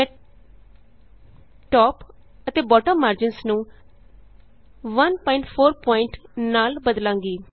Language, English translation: Punjabi, I will change Top and Bottom margins to 1.4pt